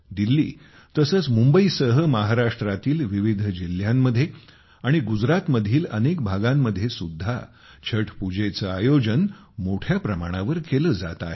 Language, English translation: Marathi, Chhath is now getting organized on a large scale in different districts of Maharashtra along with Delhi, Mumbai and many parts of Gujarat